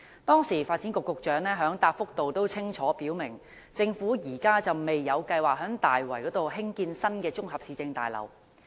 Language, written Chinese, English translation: Cantonese, 當時，發展局局長在答覆中清楚表明，政府現時未有計劃在大圍興建新的綜合市政大樓。, At the time the Secretary for Development made it clear in his reply that the Government has no plans at present to construct a new municipal complex in Tai Wai